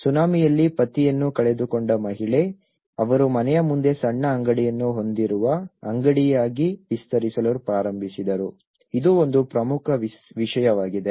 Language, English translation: Kannada, Woman, who lost their husbands in the tsunami, they started expanding as a shop having a small shop in front of the house, this is one of the important thing